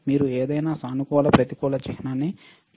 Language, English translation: Telugu, Can you see any positive negative sign